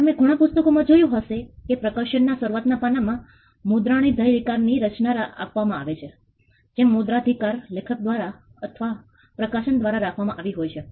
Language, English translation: Gujarati, Publication you would have seen in many books there is a copyright notice in the initial pages where the copyright is held by the author or by the publisher